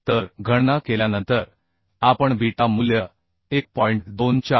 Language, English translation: Marathi, 7 and our calculated beta has 1